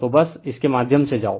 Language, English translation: Hindi, So, just go through this right